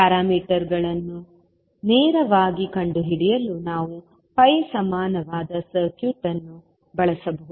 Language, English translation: Kannada, We can use the pi equivalent circuit to find the parameters directly